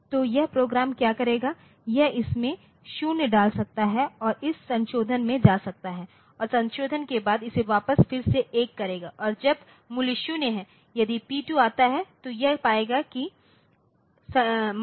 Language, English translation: Hindi, So, what this program will do so, it will may put it to 0 and go into this modification and after modification it will revert it back to one and p when the value is 0 if P2 comes so, it will find that the value is 0